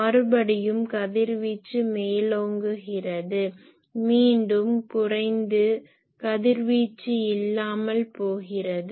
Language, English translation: Tamil, Again radiation is kicking up , again there are no radiation